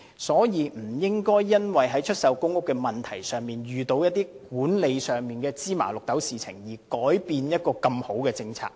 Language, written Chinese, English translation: Cantonese, 所以，政府不應該因為出售公屋時，遇到一些管理上的雞毛蒜皮的事情，而改變一項這麼好的政策。, For this reason the Government should not abort such a good policy on selling of PRH units for reasons of trivial management matters